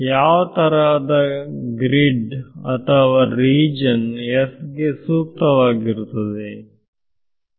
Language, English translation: Kannada, So, what kind of a grid or what kind of a region S will be suitable now